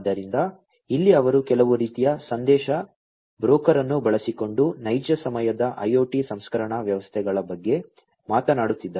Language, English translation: Kannada, So, here they are talking about real time IOT processing systems using some kind of message broker